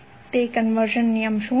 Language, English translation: Gujarati, What is that conversion rule